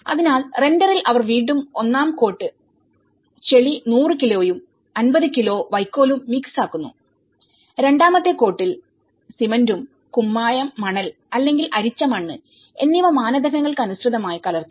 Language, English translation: Malayalam, So, in render again they have mixed about first coat mud is to straw with 100 kg and 50 kg and second coat cement is to lime, sand or sieved soil as per the standards